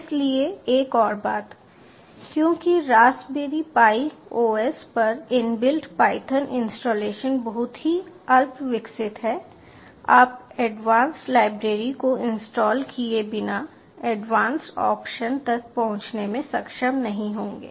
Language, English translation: Hindi, so one more thing: since the in built python installation on raspberry pi oss are very rudimentary, you wont be able to access advanced options without installing advance libraries